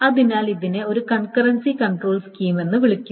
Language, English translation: Malayalam, So, this is called a concurrency control scheme